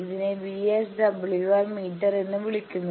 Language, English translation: Malayalam, This is the VSWR meter display